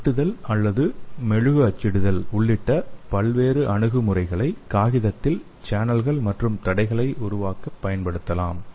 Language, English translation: Tamil, And various approaches like including cutting or wax printing can be used to create the channels and barriers in the paper